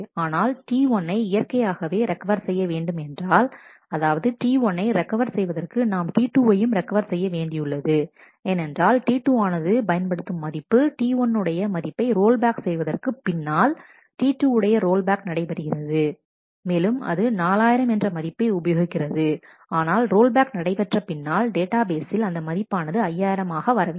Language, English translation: Tamil, So, this is recoverable, but if we want to recover T 1 naturally; that means, that for T 1 to be recovered, I also need to recover T 2 because T 2 is used a value which is not going to be the value in after the rollback of T 1 has happened T 2 has used 4000, but after the rollback the value in the database will be back to 5000